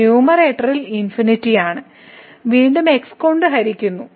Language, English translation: Malayalam, So, we are getting in the numerator and divided by which is again